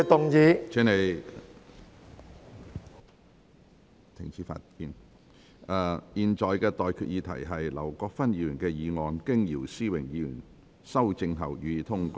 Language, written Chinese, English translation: Cantonese, 我現在向各位提出的待決議題是：劉國勳議員動議的議案，經姚思榮議員修正後，予以通過。, I now put the question to you and that is That the motion moved by Mr LAU Kwok - fan as amended by Mr YIU Si - wing be passed